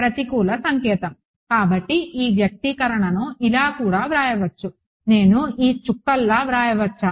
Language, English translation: Telugu, Negative sign; so, this expression can also be written as; Can I write it like this dot